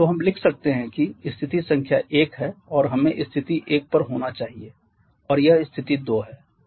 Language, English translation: Hindi, Though we can write that the state number 1 let us be the state 1 and this is state 2